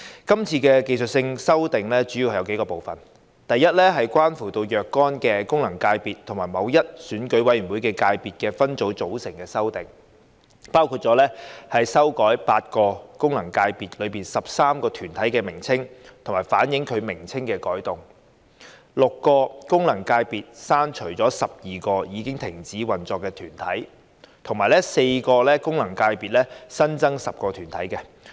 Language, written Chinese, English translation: Cantonese, 今次的技術性修訂主要有數個部分，第一，是關乎若干功能界別及某一選舉委員會界別分組組成的修訂，包括修改8個功能界別內13個團體的名稱，以反映其名稱的改動；從6個功能界別刪除12個已停止運作的團體；以及為4個功能界別新增10個團體。, In this exercise the technical amendments are divided into several major parts . First of all the amendments relating to the composition of certain functional constituencies FCs and an Election Committee subsector seek to among others update the names of 13 corporates in eight FCs to reflect their name change; remove 12 corporates which have ceased operation from six FCs; and add ten new corporates to four FCs